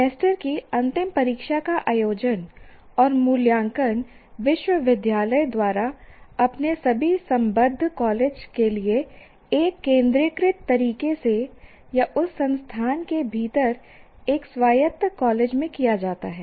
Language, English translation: Hindi, Semesternd exam is conducted and evaluated by the university for all its affiliated college in a centralized manner or an autonomous college within that institute itself